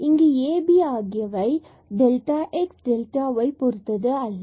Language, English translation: Tamil, So, this x y will be replaced simply by delta x and delta y terms